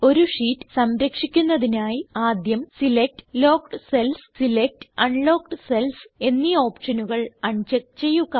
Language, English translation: Malayalam, To protect the sheet, first, un check the options Select Locked cells and Select Unlocked cells